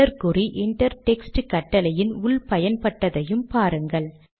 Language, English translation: Tamil, Note also the use of the dollar sign within the inter text command